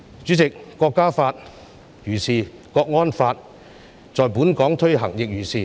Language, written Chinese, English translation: Cantonese, 主席，《國歌法》如是，國安法在本港的推行亦如是。, President that is the case with the National Anthem Law . So is it with the implementation of the national security law in Hong Kong